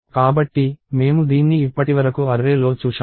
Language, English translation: Telugu, So, we have seen this in array so, far